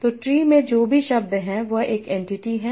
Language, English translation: Hindi, So whatever word is there in that tree is an entity